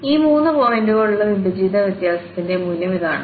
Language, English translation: Malayalam, So, that is the value here for this divided difference having these three points